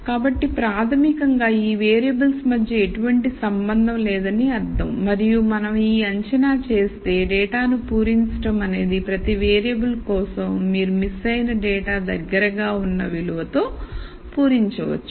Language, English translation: Telugu, So, that basically means that no relationship exists between these variables and if we make this assumption then the data filling activity could be for each variable you can fill the missing data with the most likely value